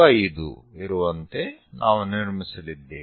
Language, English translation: Kannada, 5 we are going to construct